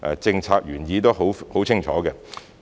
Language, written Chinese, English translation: Cantonese, 政策原意是十分清楚的。, The policy intent is very clear